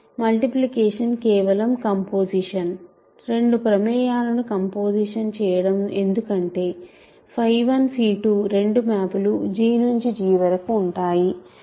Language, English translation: Telugu, Multiplication is simply composition, composition of two functions because phi 1 phi 2 are both functions from G to G right